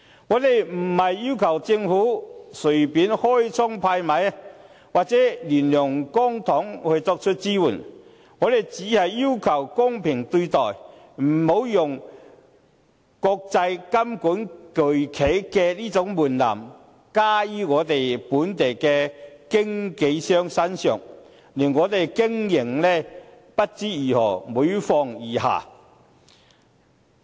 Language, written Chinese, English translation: Cantonese, 我們不是要求政府隨便開倉派米，或亂用公帑來作出支援；我們只是要求公平對待，不要用規管國際金融巨企的門檻加於我們本地的經紀商身上，令我們不知如何經營，令經營環境每況愈下。, We are not asking the Government to give out money casually or dole out public money recklessly to our assistance . We only ask for fair treatment by not imposing the threshold meant for regulating large international financial institutions on our local brokers . Otherwise we will have difficulties in operation and the operating environment will become worse